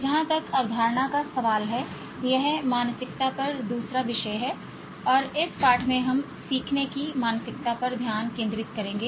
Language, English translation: Hindi, As far as the concept is concerned, this is the second topic on mindset and in this lesson we will focus on learning mindsets